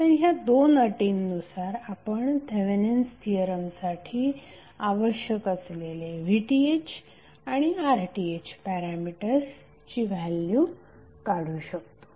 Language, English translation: Marathi, So with these two conditions you can find the value of the important parameters which are required for Thevenin’s theorem which are VTh and RTh